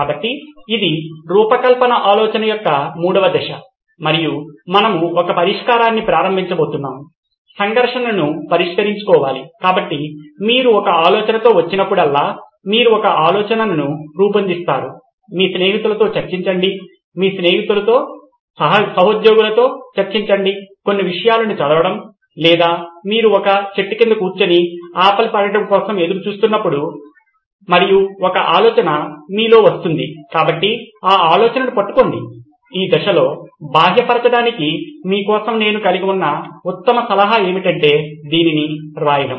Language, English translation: Telugu, So this is the third phase of design thinking and we are going to embark on a solution and this has to address the conflict so whenever you come up with an idea, you generate an idea, discussing with your friends, discussing it with your colleagues, looking at reading up some material or you sitting under a tree and waiting for the apple to fall and an idea pops into your head, so be it grab that idea, the best piece of advice I have for you at this stage is to write it out, to externalize too